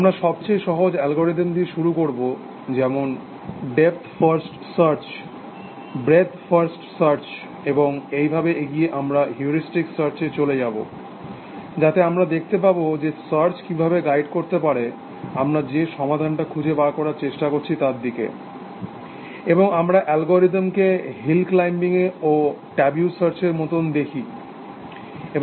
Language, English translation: Bengali, And will start with the simplest algorithm like, depth first search, breadth first search and so on, move on to heuristic search, in which we look at how search can be guided, towards the solution that we are trying to find, and we look at algorithm like hill climbing, and tabu search, and